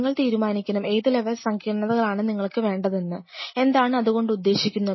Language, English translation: Malayalam, You have to decide what level of sophistication you wish to achieve, what does that mean